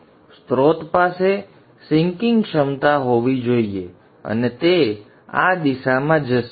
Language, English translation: Gujarati, So the source has to have sinking capability and it will go in this direction